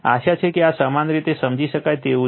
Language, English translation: Gujarati, Hope this is understandable to you